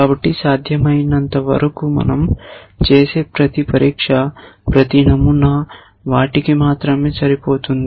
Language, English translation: Telugu, So, that as far as possible each test we make only ones or each pattern will match only ones